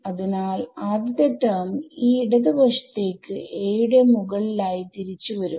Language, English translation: Malayalam, So the first term coming back to this left hand side over a a is U 1 phi